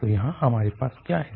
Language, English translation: Hindi, So here what we have